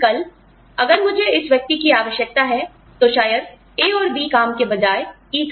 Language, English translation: Hindi, But, tomorrow, if I need this person to, maybe do job E, instead of job A and B